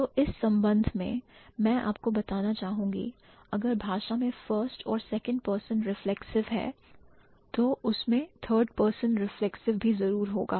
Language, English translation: Hindi, So, in this connection I would like to tell you, let's say if a language has first person and second person reflexive, it must have third person reflexive